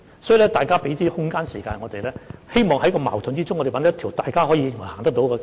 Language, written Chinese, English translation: Cantonese, 所以，請大家給予我們空間和時間，我們希望能在矛盾中找到一條大家均認為可行的道路。, For this reason I ask Members to give us some scope and some time . We hope that a way considered by all parties to be feasible can be identified among all the conflicting views